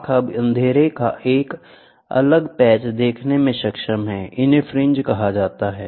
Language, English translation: Hindi, The eye is now able to see a distinct patch of darkness; these are dark darkness termed as fringes